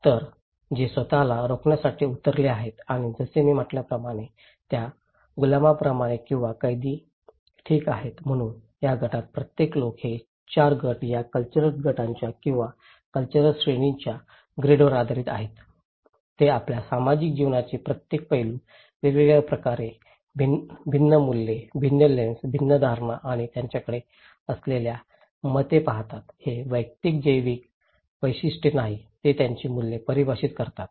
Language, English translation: Marathi, So, who are left to fend themselves and like the slave as I said or the prisoners okay, so each people of these groups; these 4 groups based on the grid and group of these cultural groups or cultural categories, they looks every aspect of our social life in different manner, different values, different lenses, different perceptions and opinions they have so, it is not the individual biological characteristics that define their values